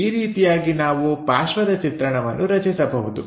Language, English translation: Kannada, This is the way, we can construct the side view